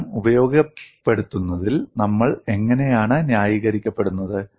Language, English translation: Malayalam, How are we justified in utilizing that result